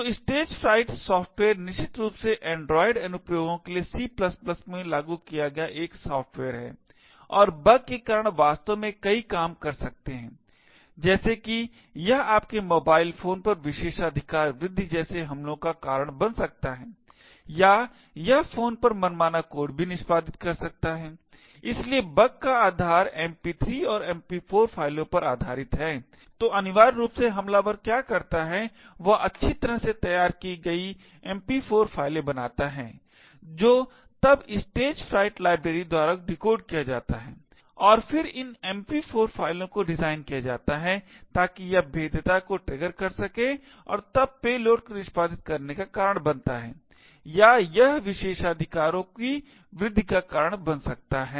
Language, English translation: Hindi, So, the Stagefright software is essentially a software implemented in C++ for android applications and because of the bug could actually do several things such as it could cause like privilege escalation attacks on your mobile phone or it could also execute arbitrary code on the phone, so the essence of the bug is based on MP3 and MP4 files, so essentially what the attacker does is he creates well crafted MP4 files which is then decoded by the Stagefright library and then these MP4 files are designed so that it could trigger the vulnerability and then cause the payload to executed or it could cause escalation of privileges